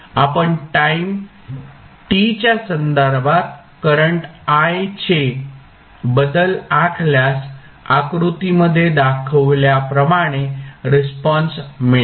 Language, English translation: Marathi, If you plot the variation of current I with respect to time t the response would be like shown in the figure